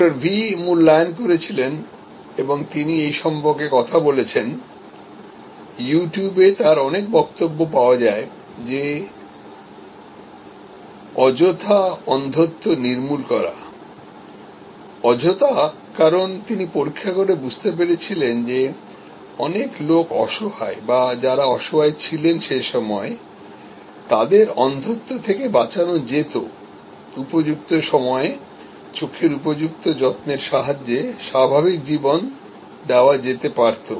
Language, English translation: Bengali, V had evaluated and he has spoken about it, many of his speeches are available for you to listen to on You Tube that eradication of needless blindness, needless because he examined and he understood that many people who are helpless or who were helpless at that time, as blind could have been saved, could have been given normal life with proper eye care at appropriate time